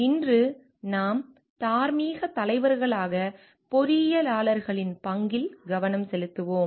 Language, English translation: Tamil, Today we will be focusing on role of engineers as moral leaders